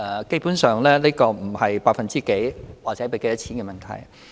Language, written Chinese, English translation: Cantonese, 基本上，這不是百分之幾或多少錢的問題。, Essentially this is not a question concerning the percentage or amount of money